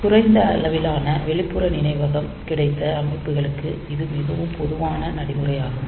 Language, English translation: Tamil, So, this is a very common practice for systems that have got limited amount of external memory